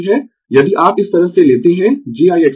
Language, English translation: Hindi, If you take like this j I x L is equal to I x L